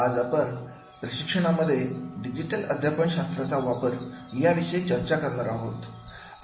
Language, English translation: Marathi, Today, we will discuss about the use of digital pedagogy in training